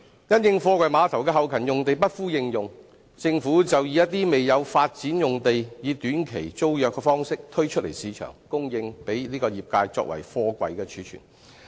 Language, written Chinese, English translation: Cantonese, 因應貨櫃碼頭的後勤用地不敷應用，政府就以一些未有發展的用地以短期租約方式推出市場，供應業界作貨櫃貯存。, Owing to the shortage of back - up lands for container terminals the Government puts up undeveloped lands for short - term tenancy in the market to provide the industry with container storage spaces